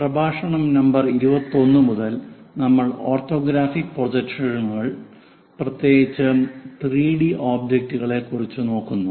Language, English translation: Malayalam, From lecture number 21 we are looking at orthographic projections, especially 3 D objects, what is the best way to represent it on the drawing sheet